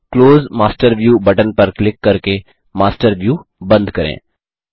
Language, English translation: Hindi, Close the Master View by clicking on the Close Master View button